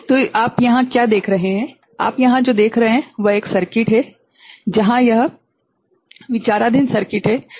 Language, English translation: Hindi, So, what you see here; what you see here is a circuit where, this is the circuit under consideration